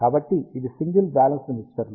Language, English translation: Telugu, So, this was single balanced mixers